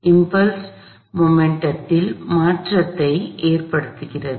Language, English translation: Tamil, So, impulse causes a change in momentum